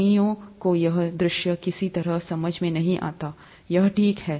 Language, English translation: Hindi, Many somehow don’t understand this view, that's okay